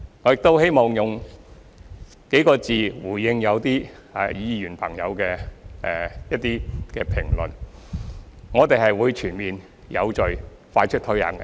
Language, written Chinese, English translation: Cantonese, 我亦希望以幾個字回應一些議員朋友的評論：我們會全面、有序、快速推行。, Moreover I wish to say a few words in response to the comments made by some Members We will implement the system in a comprehensive orderly and expeditious manner